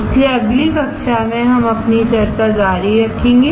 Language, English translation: Hindi, So, let us continue our discussion in the next class